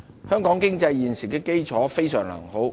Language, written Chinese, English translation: Cantonese, 香港經濟現時的基礎非常良好。, Hong Kongs economy has sound fundamentals at present